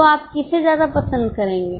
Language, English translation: Hindi, So, which one will you prefer